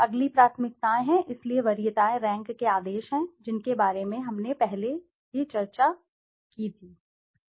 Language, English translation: Hindi, The next is the preferences, so preferences is the rank orders which we have already discussed